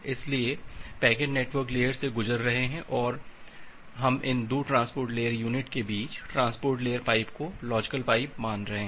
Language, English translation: Hindi, So, the packets are going via the network layer, but we are considering transport layer pipe a logical pipe between these 2 transport layer entity